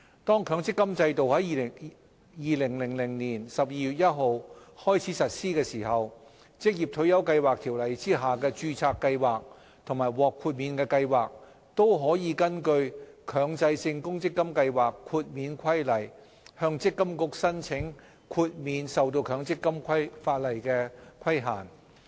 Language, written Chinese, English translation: Cantonese, 當強制性公積金制度在2000年12月1日開始實施時，《條例》下的註冊計劃及獲豁免計劃可根據《強制性公積金計劃規例》，向積金局申請豁免受強積金法例的規限。, When the Mandatory Provident Fund MPF system was launched on 1 December 2000 registered schemes and exempted schemes under the Ordinance may apply to MPFA for MPF exemption pursuant to the Mandatory Provident Fund Schemes Exemption Regulation Cap . 485B